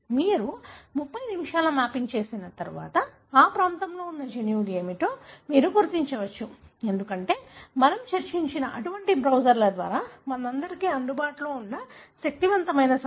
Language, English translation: Telugu, Once you have done a mapping in 30 minutes you can identify what are the genes that are present in that region, because of the powerful information that is available to all of us via such kind of browsers that we have discussed